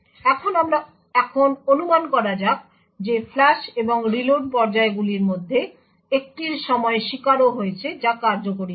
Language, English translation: Bengali, Now let us assume that during one of the flush and reload phases, there is also the victim that has executed